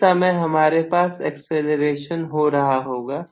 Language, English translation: Hindi, So, I have definitely an acceleration taking place